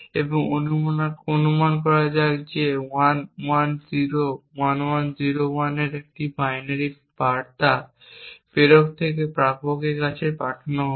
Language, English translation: Bengali, So, let us say that we have a message and assume a binary message of say 1101101 to be sent from the sender to the receiver